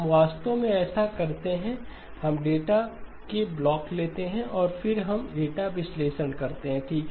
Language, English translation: Hindi, We actually do this, we take blocks of data and then we do the data analysis okay